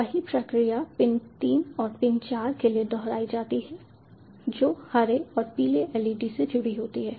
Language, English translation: Hindi, the same process is repeated for pin three and pin four, which connected to the green and yellow leds